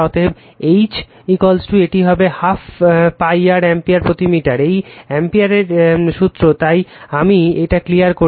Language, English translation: Bengali, Therefore, H is equal to it will be I upon 2 pi r, it is ampere per meter is Ampere’s law right so, let me clear it